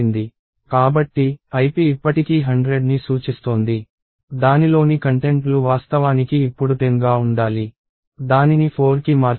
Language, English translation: Telugu, So, ip is still pointing to 100, the contents of that should be is actually 10 now, it says change that to 4